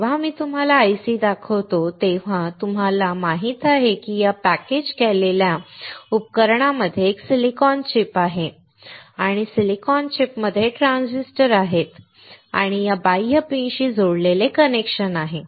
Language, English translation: Marathi, when I show you this IC, now you know that within this packaged device there is a silicon chip and within the silicon chip there are transistors and there are connections that comes out to these external pins